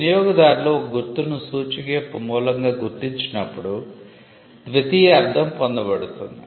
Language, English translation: Telugu, Secondary meaning is acquired when the customers recognize a mark as a source of indicator